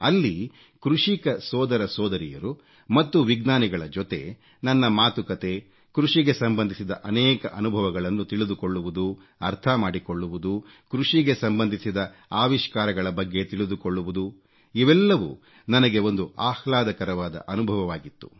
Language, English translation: Kannada, It was a pleasant experience for me to talk to our farmer brothers and sisters and scientists and to listen and understand their experiences in farming and getting to know about innovations in the agricultural sector